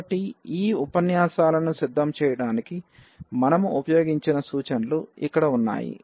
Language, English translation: Telugu, So, here these are the references we have used to prepare these lectures and